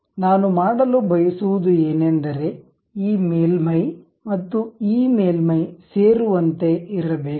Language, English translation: Kannada, What I would like to do is this surface and this surface supposed to be coincident